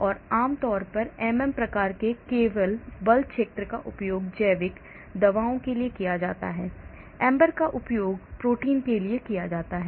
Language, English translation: Hindi, so generally MM type of force fields are used for organic, drugs, AMBER is used for proteins